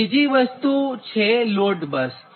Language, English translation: Gujarati, also now, another thing is load bus